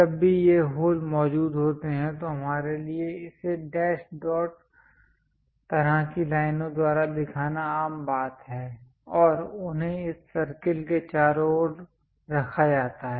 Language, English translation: Hindi, Whenever this holes are there it is common practice for us to show it by dash dot kind of lines, and they are placed around this circle